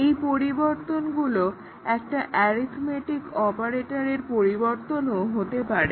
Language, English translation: Bengali, The changes may be in the form of changing an arithmetic operator